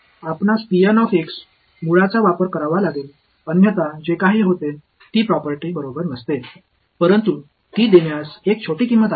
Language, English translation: Marathi, You have to use the roots of p N otherwise what happens this property does not hold true ok, but that is a small price to pay